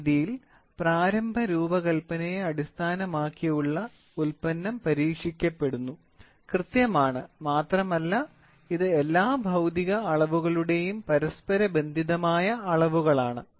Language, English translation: Malayalam, In this method, the product based on initial design is tested, accurate and it is correlated measurements of all physical quantities are involved